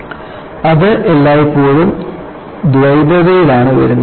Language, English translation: Malayalam, So,it isit is always comes in duality